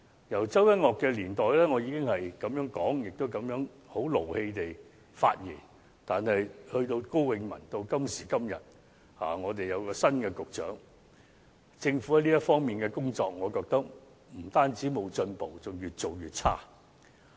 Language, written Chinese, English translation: Cantonese, 由周一嶽的年代，我已經提出這樣的建議，在發言時也曾相當動氣，但其後從高永文上任，直至今時今日政府的新任局長上任，我認為政府在這方面的工作不單沒有進步，更是越做越差。, I have already made such a suggestion ever since York CHOW was in office and I have been quite angry in my speeches . However from KO Wing - mans subsequent assumption of office to the present moment when the new Secretary in the Government has taken up the post the Governments work in this aspect has in my view not only made no progress but also grown increasingly worse